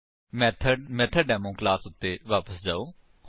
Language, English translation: Punjabi, Go back to MethodDemo class